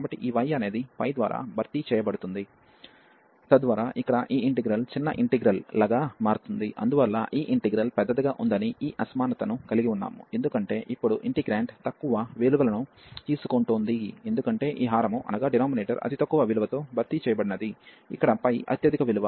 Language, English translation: Telugu, So, this y is replaced by this pi, so that this is this integral here becomes smaller integral for this integral, and therefore we have this inequality that this integral is larger, because this is taking now the integrant is taking lower value, because this denominator was replaced by the lowest value the highest value here which is pi there